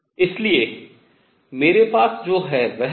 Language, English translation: Hindi, So, what we get is